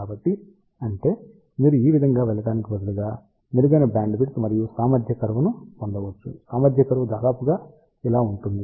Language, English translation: Telugu, So; that means, you can get much better bandwidth also efficiency curve instead of going like this, efficiency curve will be almost like this here